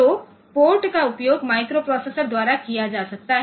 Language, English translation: Hindi, So, that you can it can be the port can be utilized by the microprocessor